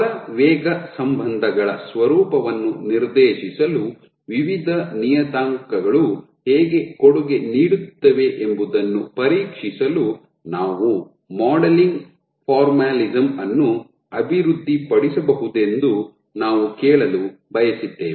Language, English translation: Kannada, So, and we wanted to ask that can we develop a modeling formalism for testing how various parameters contribute to dictating the nature of force velocity relationships